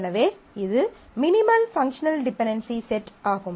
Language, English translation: Tamil, So, it is a minimal set of functional dependencies